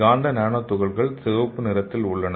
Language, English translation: Tamil, So the red color is the magnetic nanoparticles